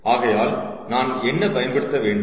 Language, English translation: Tamil, so therefore, what did we want